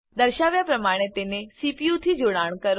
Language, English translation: Gujarati, Connect it to the CPU, as shown